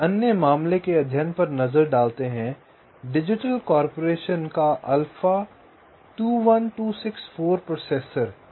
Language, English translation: Hindi, just a very quick look at another case study: digital corporations: alpha, two, one, two, six, four processor